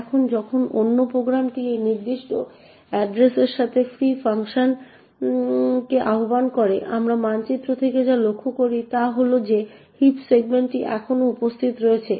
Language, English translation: Bengali, Now when other program next invokes the free function with that particular address, what we notice from the maps is that the heap segment is still present